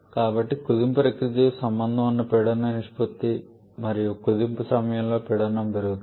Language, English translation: Telugu, So, there is a pressure ratio at the associate with the compression process and as pressure increases during compression